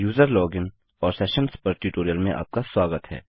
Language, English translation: Hindi, Welcome to the tutorial on user login and sessions